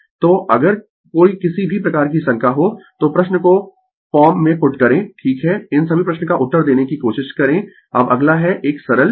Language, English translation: Hindi, So, if you have any doubt anything you put the question in the form right we try to answer all this question now next is you take a simple thing